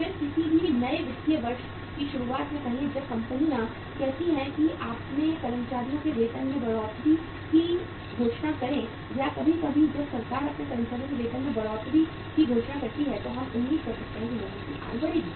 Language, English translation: Hindi, Then say in the in the beginning of any new financial year when the companies say announce the hike in the salary of their employees or sometimes when the government announces the hike in the salary of its own employees we can expect that the income of the people go up